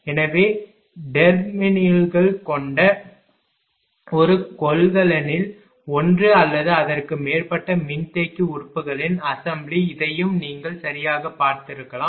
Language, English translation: Tamil, So, an assembly of one or more capacitor elements in a single container with terminals brought out this also you might have seen right